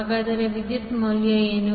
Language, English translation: Kannada, So what is the value of current